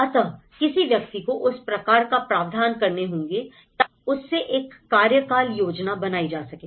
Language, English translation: Hindi, So, one has to create that kind of, so provisions in order to make it a tenured plan